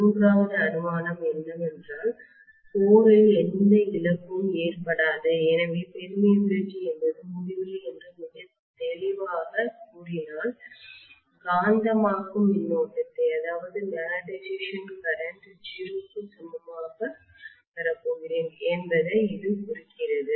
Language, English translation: Tamil, Third assumption that I am going to make is that the core is not going to have any losses, so if I say permeability is infinity very clearly I am going to have the magnetizing current equal to 0, this is implied